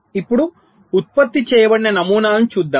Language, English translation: Telugu, now let us see the patterns which are generated